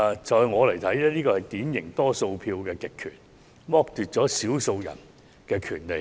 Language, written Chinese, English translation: Cantonese, 在我看來，這是典型的多數票極權，剝奪了少數人的權利。, In my opinion this is a typical example of the dictatorship of the majority which has deprived the minority of their rights